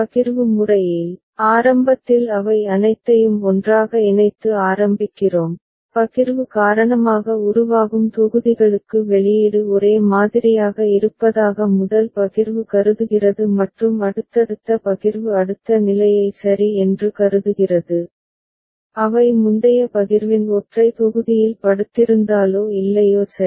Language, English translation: Tamil, In partitioning method, initially we begin with all of them put together, the first partition considers the output is identical for blocks formed due to partition and subsequent partition considers the next state ok, whether they lie in single block of previous partition or not ok